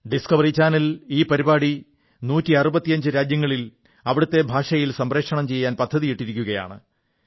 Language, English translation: Malayalam, The Discovery Channel plans to broadcast this programme in 165 countries in their respective languages